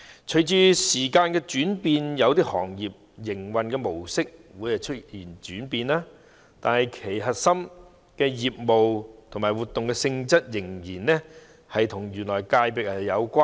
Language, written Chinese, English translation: Cantonese, 隨着時代轉變，有些行業的營運模式會出現轉型，但核心業務及活動性質仍然與原有的界別有關。, As time changes some industries may have changes in their modes of operation but the core business and nature of activities may still be related to the original FC